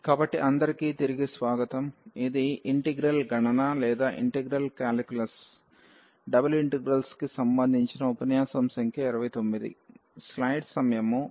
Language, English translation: Telugu, So, welcome back this is lecture number 29 on integral calculus Double Integrals